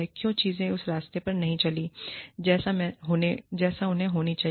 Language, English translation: Hindi, Why things have not gone on the way, they should